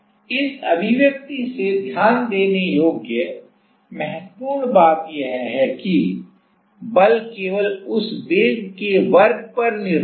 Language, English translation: Hindi, So, important point to note from this expression is that; the force is only dependent on that velocity square